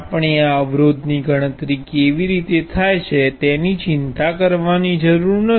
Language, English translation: Gujarati, We do not have to worry about how this resistance is calculated